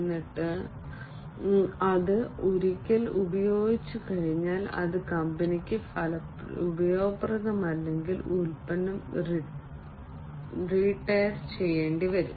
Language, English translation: Malayalam, And then once it is used, once it is no longer useful to the company, the product has to be retired